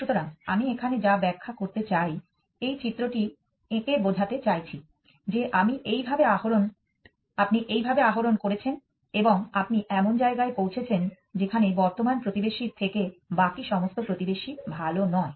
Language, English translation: Bengali, So, that is what I would just about to illustrate here, so this is the figure that I am trying to draw that you have done this climbing and you have reached the place where I all the neighbors are not better than the current neighbor